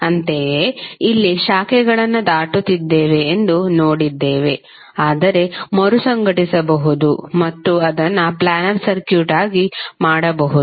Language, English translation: Kannada, Similarly here also we saw that it is crossing the branches but we can reorganize and make it as a planar circuit